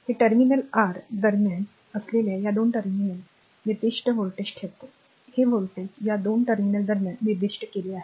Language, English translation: Marathi, And that maintains a specified voltage between these 2 terminal between this terminal it is your, this voltage is specified right between this 2 terminal right